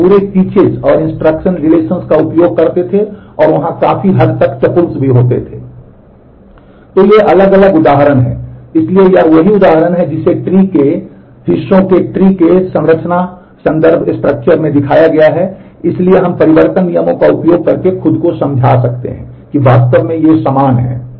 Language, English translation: Hindi, So, these are different example so, this is a the same example being shown in terms of the tree parts tree structure so, we can convince yourself by using the transformation rules that they are actually equivalent